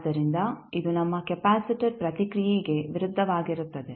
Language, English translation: Kannada, So, this is just opposite to our response capacitor response